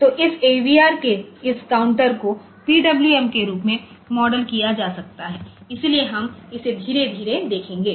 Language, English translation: Hindi, So, this AVR this counter one can also be moduled as PWM, so we will see that slowly